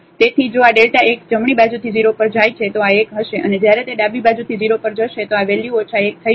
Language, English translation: Gujarati, So, if this delta x goes to 0 from the right side then this will be 1 and when it goes to 0 from the left side then this value will become minus 1